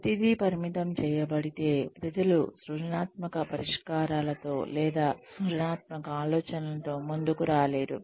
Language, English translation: Telugu, If everything was restricted, people would not be able to come up with creative solutions or creative ideas